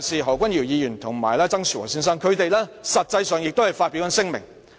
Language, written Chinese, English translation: Cantonese, 何君堯議員和曾樹和先生亦曾發表聲明。, Dr Junius HO and Mr TSANG Shu - wo also made a statement